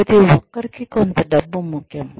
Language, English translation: Telugu, Some amount of money is important for everybody